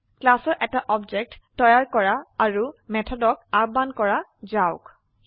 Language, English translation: Assamese, Let us create an object of the class and call the methods